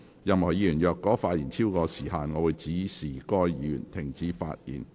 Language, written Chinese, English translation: Cantonese, 任何議員若發言超過時限，我會指示該議員停止發言。, If any Member speaks in excess of the specified time I will direct the Member concerned to discontinue